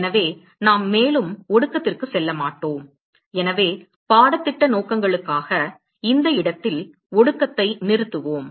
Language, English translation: Tamil, So, we will not go more into condensation; so, for the course purposes we will stop condensation at this point